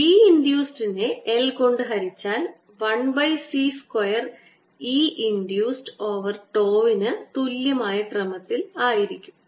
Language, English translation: Malayalam, b induced divided by l is going to be of the order of one over c square that e induced divided by tau